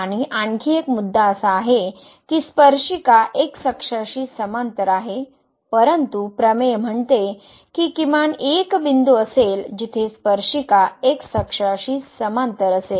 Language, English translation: Marathi, And, there is another point where the tangent is parallel to the , but the theorem says that there will be at least one point where the tangent will be parallel to the